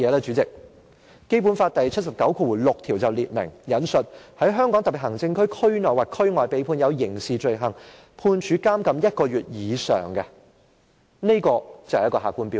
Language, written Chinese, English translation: Cantonese, 主席，《基本法》第七十九條第六項列明，我引述："在香港特別行政區區內或區外被判有刑事罪行，判處監禁一個月以上"，這就是客觀標準。, President it is stipulated in Article 796 of the Basic Law that and I quote When he or she is convicted and sentenced to imprisonment for one month or more for a criminal offence committed within or outside the Region . This is the objective criterion